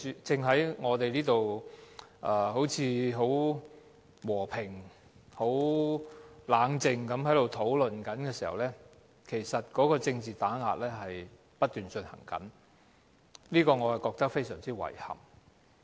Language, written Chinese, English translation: Cantonese, 當我們在此和平、冷靜地討論的時候，政治打壓正不斷進行，對此我感到非常遺憾。, When we are conducting a peaceful and clam discussion here political suppression is going on . I have to express great regret about this